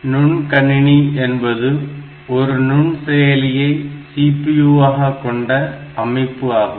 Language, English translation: Tamil, A microcomputer is a computer with a microprocessor as its CPU